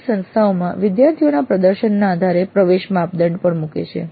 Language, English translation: Gujarati, Some institutes even put an entry criteria based on the performance of the students